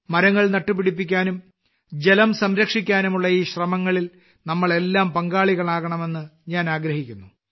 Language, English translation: Malayalam, I would like all of us to be a part of these efforts to plant trees and save water